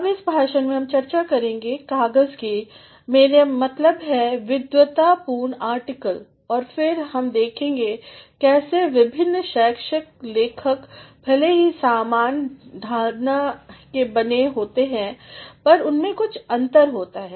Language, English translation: Hindi, Now, in this lecture we are going to discuss papers, I mean scholarly articles and then we shall see how different academic writers though appearing to be made of the same mould have some sort of differences or the other